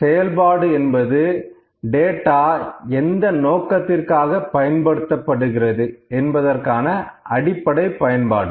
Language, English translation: Tamil, Functionality is the basic or the fundamental use for what purpose is data being used